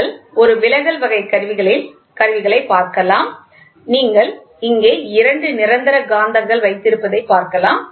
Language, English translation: Tamil, So, you can see in a deflection type instruments, you can have a permanent magnets